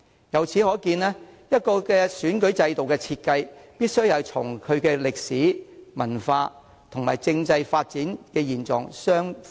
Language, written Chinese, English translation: Cantonese, 由此可見，一個選舉制度的設計，必須與其歷史、文化和政制發展現狀符合。, This demonstrates that the design of an electoral system must conforms with the history culture and development of the political system of a place